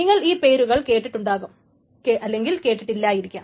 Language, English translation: Malayalam, You may or may not have heard the names of this